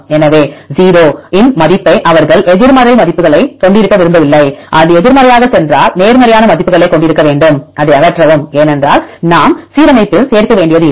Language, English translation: Tamil, So, the value of 0 they do not want to have any negative values they want to have the positive values if it goes a negative just remove it because we do not have to include in the alignment